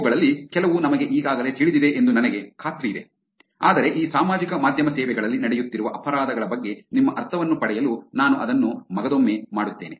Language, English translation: Kannada, I am sure some of this we are already aware but let me just brush it to get your sense of what the crimes that are going on in these social media services